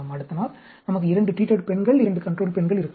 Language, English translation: Tamil, Next day, we may have two treated female, two control female, like that